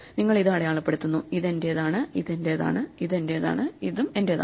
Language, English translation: Malayalam, you mark this thing, you say this is mine, this is mine, this is mine, and this is mine